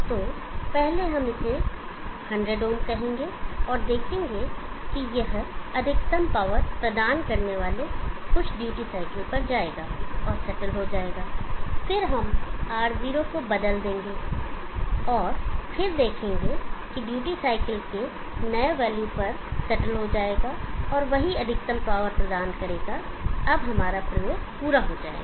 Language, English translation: Hindi, So first we will say this an 100 ohms, and see that it will go and settle at some duty cycle providing maximum power, and then we will change R0 and then see that will settle at the new value of duty cycle also providing the same maximum power, now that would complete our experiment